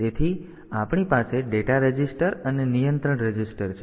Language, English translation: Gujarati, So, we have got data registers and control registers